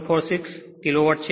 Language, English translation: Gujarati, 746 kilo watt